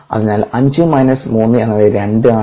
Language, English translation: Malayalam, so five minus three is two